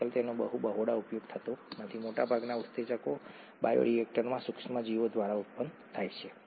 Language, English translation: Gujarati, They are not very extensively used nowadays, most enzymes are produced by microorganisms in bioreactors